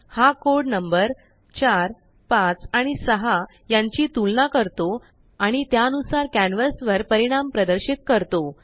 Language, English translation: Marathi, This code compares numbers 4 , 5 and 6 and displays the results accordingly on the canvas